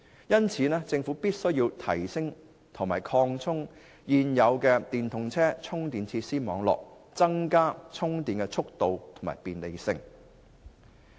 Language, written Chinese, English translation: Cantonese, 因此，政府必須提升及擴充現有的電動車充電設施網絡，令充電更方便快捷。, So the Government must improve and expand the current charging network for electric vehicles to make charging more convenient